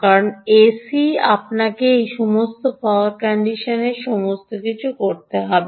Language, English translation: Bengali, ok, you have to do all that: power conditioning and all that